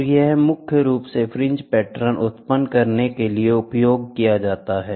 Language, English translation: Hindi, And this is predominantly used for generating fringe patterns